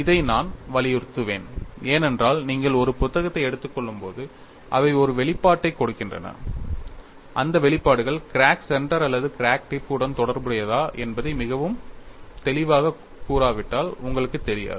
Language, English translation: Tamil, This I would be emphasizing it, because when you take up a book, they give an expression, you may not know unless it is very clearly said, whether those expressions are related to crack center or crack tip